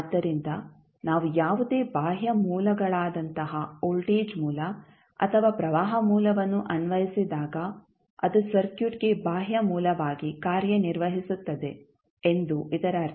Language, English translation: Kannada, So, that means when we apply any external source like voltage source we applied source or maybe the current source which you apply so that acts as a external source for the circuit